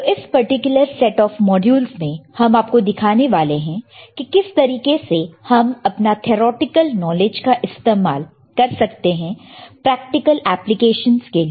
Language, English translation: Hindi, So, this particular set of modules that we are going to show to you are regarding how to use your theoretical knowledge in practical applications